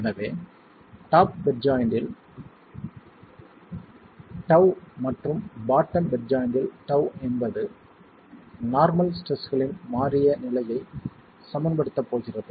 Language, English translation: Tamil, So, tau at the top bed join and tau at the bottom bed join is what is going to be equilibrium the change state of normal stresses